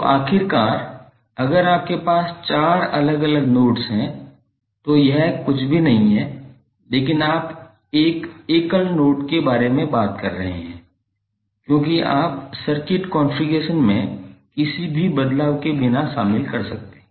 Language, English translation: Hindi, So eventually if you have four different nodes it is nothing but you are talking about one single node, because you can join then without any change in the circuit configuration